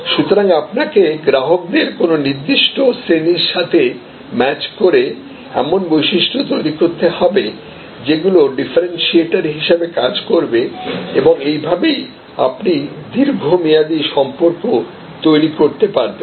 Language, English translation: Bengali, So, you have to create a certain set of differentiators and match a particular segment of customers and that is how you can build long term relationships